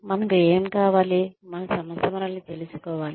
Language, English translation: Telugu, What do we want, our organization to know us as